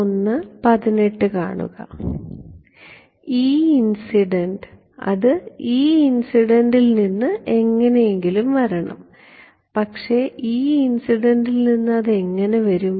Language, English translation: Malayalam, E incident it has to come somehow from E incident, but how will it come from E incident